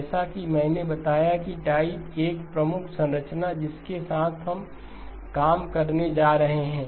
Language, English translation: Hindi, Like as I mentioned type 1 is the predominant structure that we are going to be working with